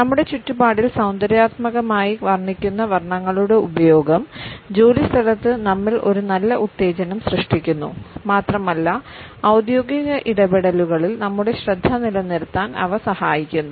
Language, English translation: Malayalam, The use of those colors which are aesthetically pleasing in our surrounding create a positive stimulation in us at the workplace and they help us in retaining our focus during our official interactions